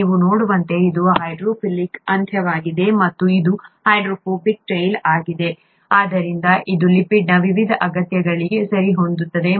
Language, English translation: Kannada, As you can see this is a hydrophilic end and this is a hydrophobic tail, so this fits into the various needs of a lipid